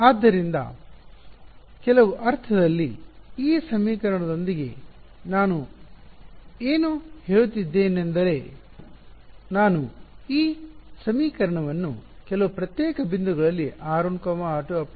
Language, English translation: Kannada, So, in some sense what am I saying with this equation is that I am enforcing this equation at a few discrete points r 1, r 2, r 3 r m; correct right